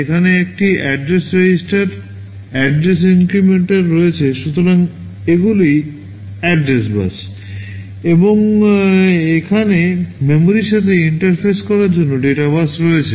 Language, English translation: Bengali, There is an address register, address inmcrplementer, so these are the address bus and here is the data bus for interfacing with memory